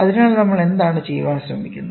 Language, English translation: Malayalam, So, what are we trying to do